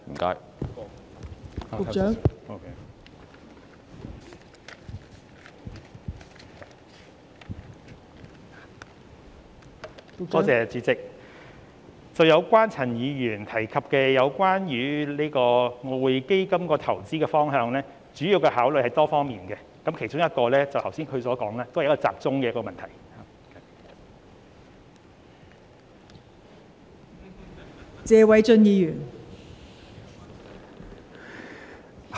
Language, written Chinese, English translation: Cantonese, 代理主席，就陳議員提及有關外匯基金投資的方向，主要的考慮是多方面的，其中一方面正是議員剛才說集中本地市場的問題。, Deputy President regarding the direction of investment of the Exchange Fund mentioned by Mr CHAN the major considerations are multi - faceted and one of them is precisely concentration on the local market as pointed out by the Member just now